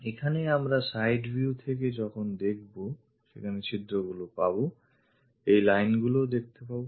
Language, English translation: Bengali, Here there are holes when we are looking from the side view, these lines will be visible